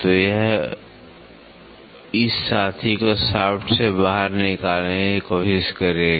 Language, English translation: Hindi, So, that will try to push this fellow out of the shaft